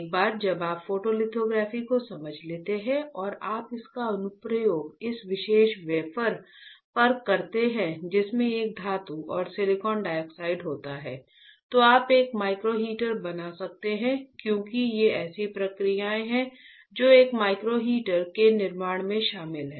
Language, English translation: Hindi, Once you understand photolithography and you use it on this particular wafer which has a metal and silicon dioxide, you can fabricate a micro heater as a these are the processes that are involved in fabrication of a micro heater